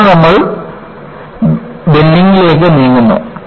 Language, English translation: Malayalam, Then, we move on to bending